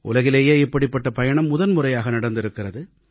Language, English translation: Tamil, This was a first of its kind event in the entire world